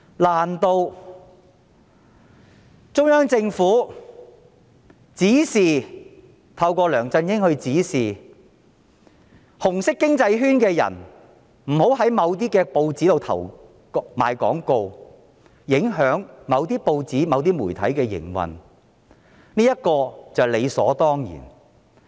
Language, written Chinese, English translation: Cantonese, 難道中央政府透過梁振英指示"紅色經濟圈"的人不要在某些報紙裏賣廣告，影響某些報紙、某些媒體的營運，就是理所當然？, Is it right and justified for the Central Government to direct through LEUNG Chun - ying the people in the red economic circle not to place advertisements on certain newspapers thereby affecting the operation of some newspapers and media?